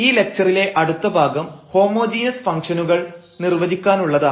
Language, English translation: Malayalam, So, another part of this lecture is to define the homogeneous functions